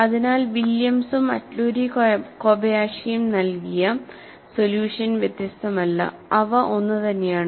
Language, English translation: Malayalam, So, the solution given by Williams and Atluri Kobayashi are not different; they are one and the same, as an equivalence